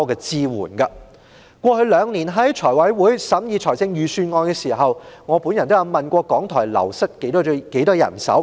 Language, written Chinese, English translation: Cantonese, 財務委員會過去兩年審議預算案時，我都曾問及港台流失了多少人手。, During the examination of the Budget in the Finance Committee in the past two years I have asked about the staff wastage of RTHK